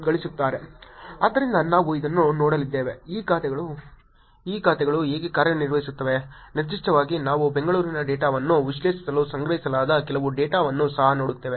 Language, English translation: Kannada, So, what we are going to be looking at this is, how these accounts are doing, in specific we will also look at some data that was collected to analyze Bangalore data itself